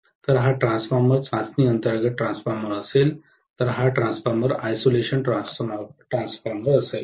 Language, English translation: Marathi, So, this transformer will be transformer under test, whereas this transformer will be isolation transformer, got it